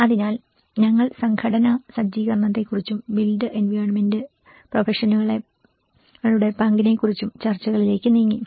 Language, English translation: Malayalam, So we moved on discussions with the organizational setup and the role of built environment professions